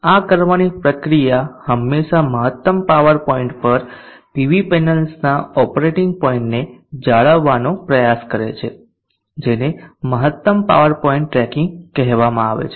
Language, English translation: Gujarati, The process of doing this always trying to maintain the operating point of the PV panels at maximum power point is called the maximum power point tracking